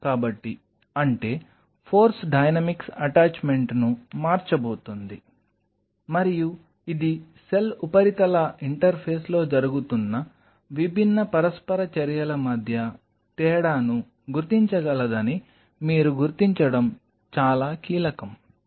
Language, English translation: Telugu, So; that means, the force dynamics are going to change of the attachment and this is critical that you could distinguish it should be able to distinguish between different interactions which are happening at the cell surface interface